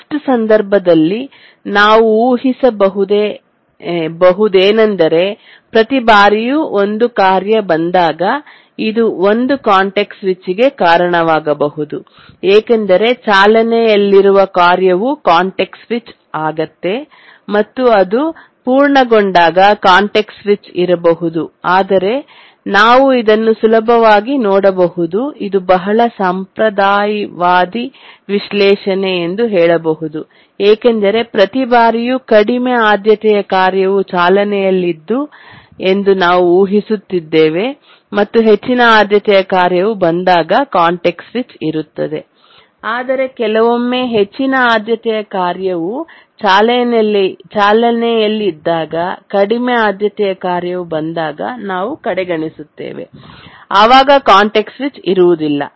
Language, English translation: Kannada, So in the worst case we can assume that each time there is a task that arrives, it may at most cause one context switch because the task that may be running is context switched and again when it's on its completion there may be a context switch but then as you can easily look through this that this is a very conservative analysis because you are assuming that each time a higher priority task is running, sorry, a lower priority task is running and a higher priority task arrives and there is a context switch